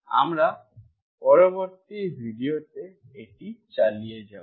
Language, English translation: Bengali, We will continue this in the next video